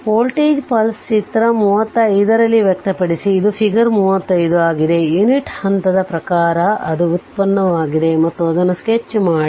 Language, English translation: Kannada, It is given that express the voltage pulse right in figure 35, this is figure 35, in terms of the unit step determines it is derivative and sketch it